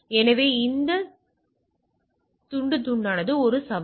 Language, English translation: Tamil, So, that the fragmentation is a challenge